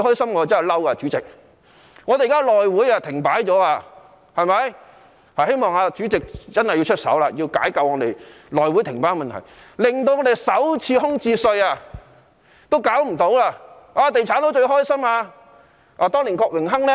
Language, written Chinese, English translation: Cantonese, 現在內會停擺，希望主席真的能夠出手，解救內會停擺的問題，因停擺已令首次空置稅無法推行，"地產佬"便最高興了。, Now that the House Committee has come to a standstill I hope the Chairman will really do something to break the standstill of the House Committee for it has already prevented the implementation of the Special Rates on vacant first - hand private residential units and the real estate blokes will be most happy about this